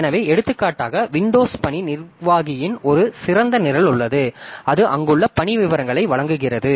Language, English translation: Tamil, So, for example, there is a top program of Windows task manager so that gives you the task details that are there